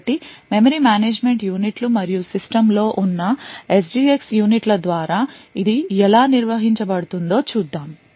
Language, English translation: Telugu, So, let us see how this is managed by the memory management units and the SGX units present in the system